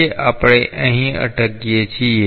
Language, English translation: Gujarati, So, we stop here today